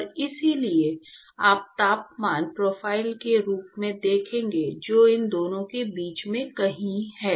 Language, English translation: Hindi, And so, you will see as temperature profile which is somewhere in between these two